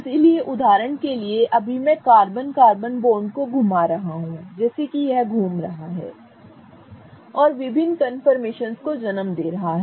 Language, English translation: Hindi, So, for example right now I am rotating the carbon carbon bond such that it is rotating and giving rise to different confirmations